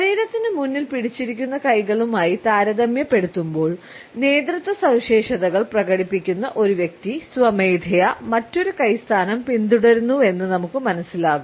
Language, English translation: Malayalam, In comparison to hands clenched in front of the body, we find that a person who displays leadership traits follows a different hand position automatically